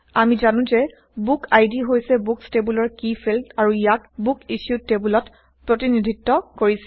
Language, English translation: Assamese, We also know that book id is the key field in the books table and is represented in the Books Issued table